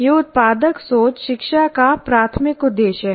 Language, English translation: Hindi, Productive thinking that is the main purpose of education